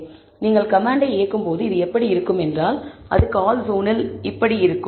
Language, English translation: Tamil, So, this is how it looks when you run the command and this is how it would look in the callzone